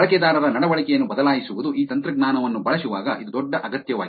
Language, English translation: Kannada, Changing the user behavior, it is a big need while using this technology